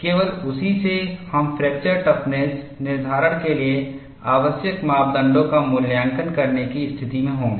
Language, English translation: Hindi, Only from that, you would be in a position to evaluate the parameters needed for fracture toughness determination